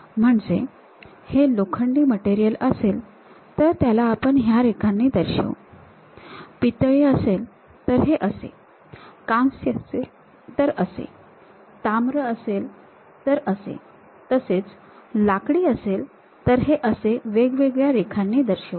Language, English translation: Marathi, If it is iron kind of material one kind of lines we use; if it is brass, bronze, copper different kind of things we will use; if it is wood different kind of lines